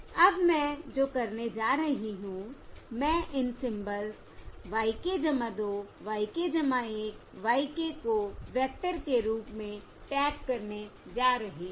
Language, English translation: Hindi, Now what I am going to do is I am going to tag these symbols y k plus 2, y k plus 1, y k as a vector, And you can see